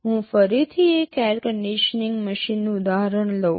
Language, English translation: Gujarati, Let me take the example of an air conditioning machine again